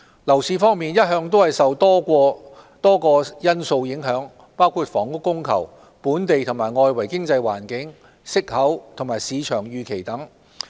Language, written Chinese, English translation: Cantonese, 樓市一向受多個因素影響，包括房屋供求、本地和外圍經濟環境、息口和市場預期等。, The property market has always been affected by a number of factors including housing supply and demand local and external economic environment interest rates and market expectations etc